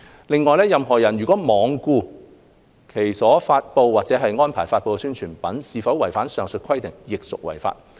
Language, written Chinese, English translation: Cantonese, 另外，任何人如罔顧其所發布或安排發布的宣傳品是否違反上述規定，亦屬違法。, It is also an offence for a person to be reckless as to whether the advertisement he publishes or causes to be published is in breach of the rules mentioned above